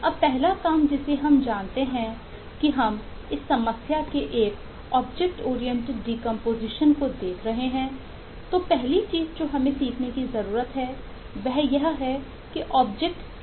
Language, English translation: Hindi, now the first task that we we know that we are looking at a object oriented decomposition of this problem